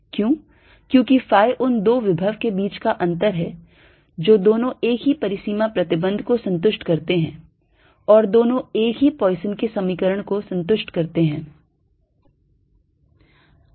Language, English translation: Hindi, because phi is the difference between the two potentials, where both satisfy this same boundary condition and both satisfy the same poisson's equation